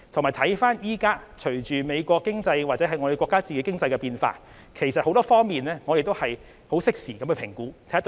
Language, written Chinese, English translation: Cantonese, 現時，隨着美國或我們國家的經濟變化，我們會從多方面適時評估所謂的"制裁"對香港的影響。, At present with the changes in the economies of the US and our country we will comprehensively and timely assess the effects of the so - called sanctions on Hong Kong